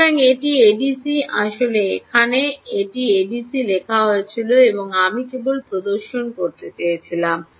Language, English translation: Bengali, actually its written here a d c and i just wanted to demonstrate